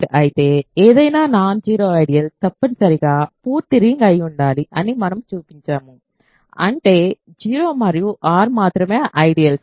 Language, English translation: Telugu, If R is a field we have shown that any non zero ideal must be the full ring so; that means, the only ideals are 0 and R